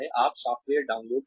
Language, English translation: Hindi, You download the software